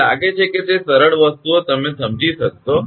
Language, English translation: Gujarati, I think it will be understandable to you, simple things